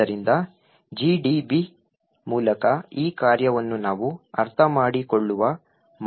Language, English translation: Kannada, So, the way we will understand this function is through GDB